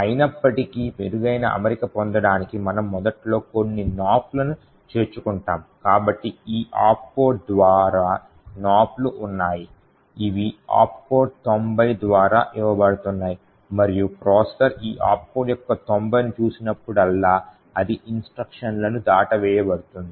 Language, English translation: Telugu, However, to get a better alignment what we do is we add some Nops initially so the Nops is present by this opcode is given by this opcode 90 and whenever the processor sees this opcode of 90 it is just going to skip the instruction to nothing in that instruction